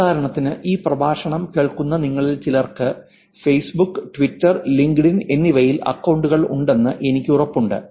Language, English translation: Malayalam, For example, I'm sure some of you in listening to this lecture will have accounts on Facebook, Twitter and LinkedIn